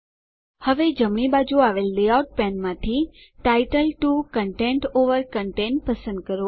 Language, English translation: Gujarati, Now, from the layout pane on the right hand side, select title 2 content over content